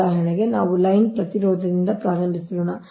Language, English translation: Kannada, for example, let us start from the line resistance, right